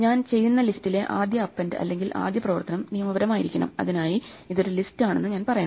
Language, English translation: Malayalam, The first append or the first operation on the list that I do will have to be legal, for that I have to tell it that it is a list